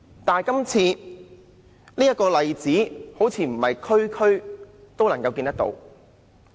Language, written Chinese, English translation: Cantonese, 但是，這個例子好像不是每一區都看到。, However it seems that such a case of success cannot be found in every district